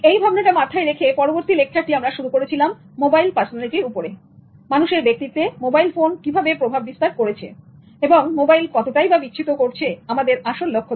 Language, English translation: Bengali, With this thought, we started with the next lecture on mobile personality and how the influence of mobile is on human personality and how mobile has deviated from its main intention